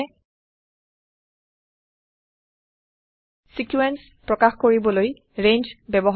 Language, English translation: Assamese, Ranges are used to express a sequence